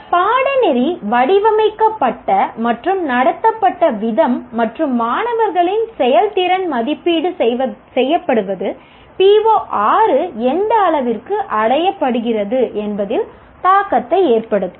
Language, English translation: Tamil, So the way the course is designed and conducted and also the student performance is evaluated will have an impact on to what extent PO6 is attained